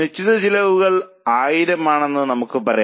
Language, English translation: Malayalam, Let us say fixed costs are $1,000